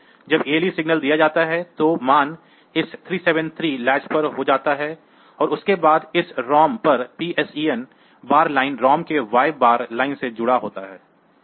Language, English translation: Hindi, ALE signal is given, so the value gets latched on to this 373 latch and after that this ROM will; this PSEN bar line is connected to the y bar line of the ROM